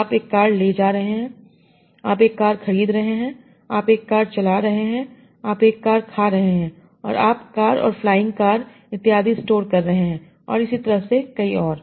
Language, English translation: Hindi, So you are carrying car, you are buying car, you are driving car, you are eating car and you are storing car and flying car and so on